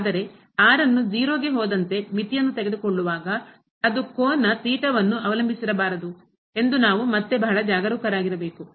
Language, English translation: Kannada, But we have to be again very careful that while taking the limit as goes to 0 that should not depend on the angle theta